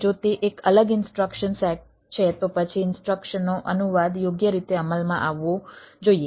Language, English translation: Gujarati, if it is a different instruction set, then there is a instruction translation should come into play, right